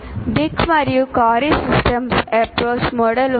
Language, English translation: Telugu, There is one is called Dick and Carey Systems Approach model